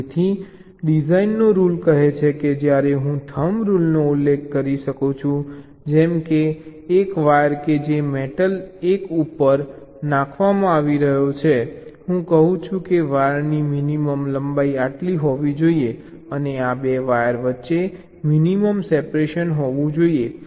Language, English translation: Gujarati, so design rule says that, while i can specify some rule of the thumb, like, let say, a wire which is being laid out on, let say, metal one, i tell that the minimum length of the wire should be this and the minimum separation between two wires should be this: these will be my design rules